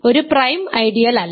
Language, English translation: Malayalam, So, it is not a prime ideal